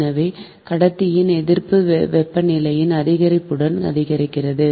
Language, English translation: Tamil, so the conductor resistance increases with the increase of the temperature